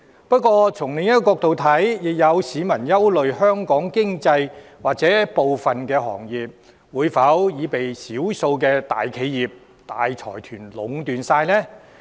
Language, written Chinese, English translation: Cantonese, 不過，從另一個角度看，亦有市民憂慮，香港經濟或部分行業會否被少數的大企業、大財團所壟斷？, However viewed from another perspective some members of the public are also concerned about the possible monopolization of the Hong Kong economy or some industries by a few large enterprises and large consortia